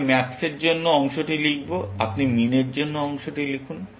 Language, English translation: Bengali, I will write the part for the max, and you write the part for min